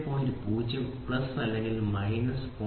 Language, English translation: Malayalam, So, plus or minus 0